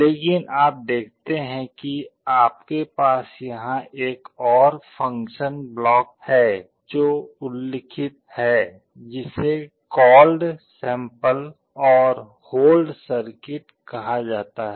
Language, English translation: Hindi, But you see you have another functional block out here, which is mentioned called sample and hold circuit